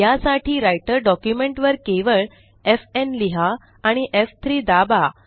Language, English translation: Marathi, For this simply write f n on the Writer document and press F3